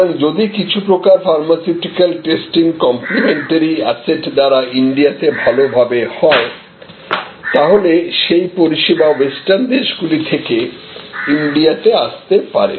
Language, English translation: Bengali, So, if certain types of testing pharmaceutical testing could be done better with complimentary assets in India, then that part of the service moved from may be a western country to India